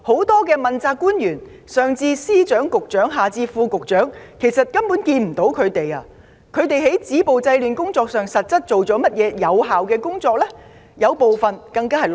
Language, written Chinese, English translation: Cantonese, 多位問責官員——上至司長、局長，下至副局長——完全不見影蹤；他們實際上做過甚麼有效工作止暴制亂？, Many accountable officials―from Secretaries of Departments Bureau Directors to Under Secretaries―have been completely out of sight . What effective efforts have they actually made to stop violence and curb disorder?